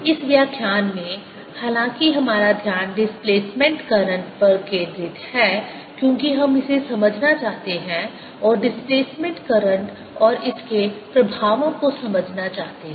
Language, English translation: Hindi, in this lecture, however, our focus is going to be the displacement current, because we want to understand this and understand displacement current and its effects